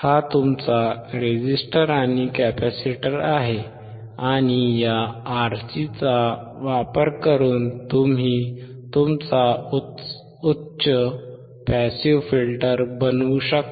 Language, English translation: Marathi, This is your R and C resistor and capacitor, and using this RC you can form your high pass passive filter